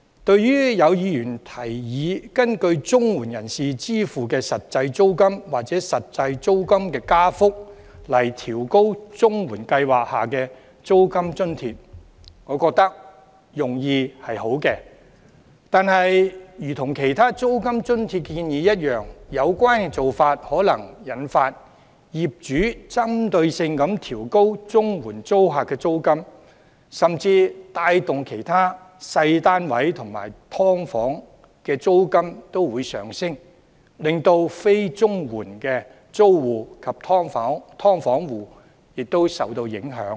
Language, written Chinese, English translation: Cantonese, 對於有議員建議根據綜援人士支付的實際租金或實際租金加幅來調高綜援計劃下的租金津貼，我覺得用意良好，但如同其他租金津貼建議一樣，有關做法可能會引發業主針對性地調高綜援租客的租金，甚至帶動其他小型單位及"劏房"的租金上升，令非綜援租戶及"劏房戶"亦受到影響。, As regards the suggestion of Members that the rent allowance under the CSSA Scheme should be adjusted as per the actual rent or rent increase paid by CSSA recipients despite its good intention just like other suggestions on rent allowance this practice may trigger landlords to raise the rents payable by CSSA tenants specifically which may even lead to a surge in rentals of smaller flats and subdivided units thus affecting tenants and subdivided unit households who are not CSSA recipents